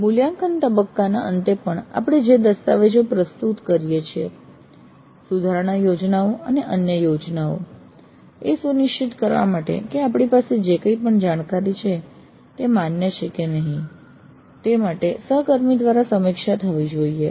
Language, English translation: Gujarati, So at the end of the evaluate phase also the documents that we produce and the improvement plans and other plans that we produce they all must be peer reviewed in order to ensure that what we have is a valid kind of information